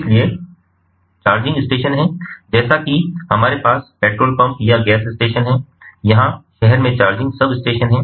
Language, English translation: Hindi, so there are charging stations, as we have petrol pumps or the gas stations, the here there are charging substations in the city